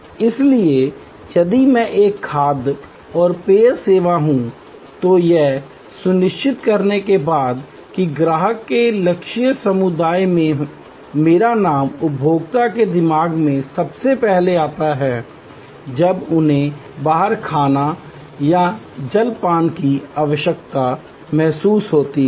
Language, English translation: Hindi, So, if I am a food and beverage service, after ensure that in my targeted community of customers, my name comes up first in the consumer's mind when they feel the need of eating out or having a refreshment